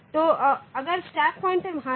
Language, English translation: Hindi, So, if the stack pointer is there